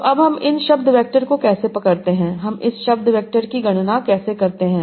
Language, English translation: Hindi, So now, how do we capture these word vectors